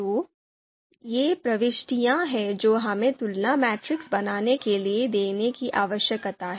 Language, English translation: Hindi, So this is these are the entries that we need to give to construct the comparison matrix